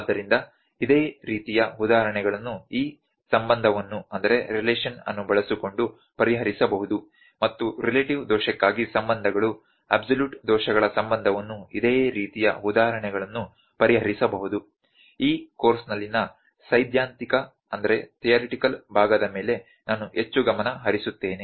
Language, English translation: Kannada, So, similar examples can be solved using this relation and relations for relative error, relation for absolute errors similar examples can solved, I will better more focus more on the theoretical part in this course